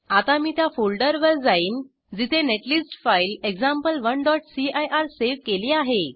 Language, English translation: Marathi, Let me resize this window Now I will go to the folder where the netlist file example1.cir is saved